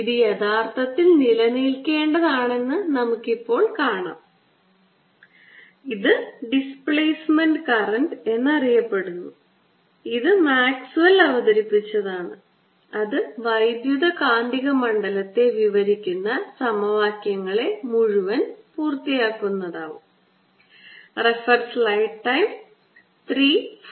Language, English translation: Malayalam, we will now show that it should indeed exist and it is known as displacement current and it was introduced by maxwell, and that will complete the entire set of equations describing electromagnetic field